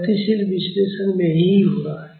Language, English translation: Hindi, This is what is happening in dynamic analysis